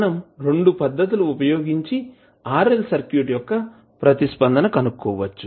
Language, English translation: Telugu, We can use 2 methods to find the RL response of the circuit